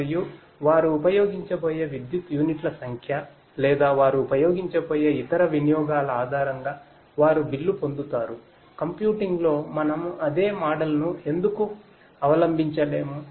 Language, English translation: Telugu, And they will get billed based on the number of units of electricity that they are going to use or other utilities that they are going to use, why cannot we adopt the same model in computing